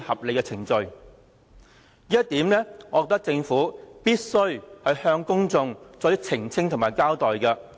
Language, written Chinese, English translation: Cantonese, 我認為政府必須向公眾澄清和交代這一點。, I think the Government has to clarify and explain this point to the public